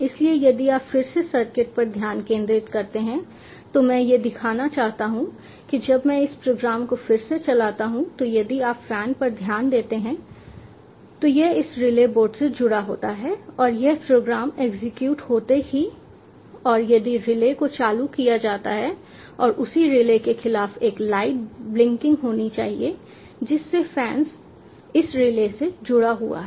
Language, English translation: Hindi, so if you again focus on the circuit, i like to show when i run this program again, if you pay attention to the fan and it is connected to this relay board, as soon as the program is executed and if the relay is turned on, there will be a light blinking against the corresponding relay to which the fan is connected to this relay